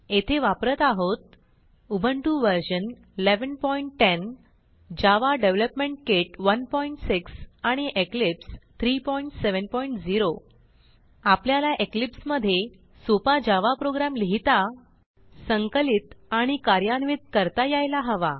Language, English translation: Marathi, Here we are using Ubuntu version 11.10 Java Development kit 1.6 and Eclipse 3.7.0 To follow this tutorial you must know how to write, compile and run a simple java program in eclipse